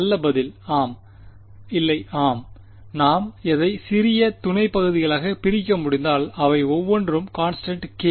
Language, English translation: Tamil, Well answer is yes and no yes, if I can break it up into small sub regions each of which is constant k